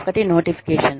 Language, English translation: Telugu, One is notification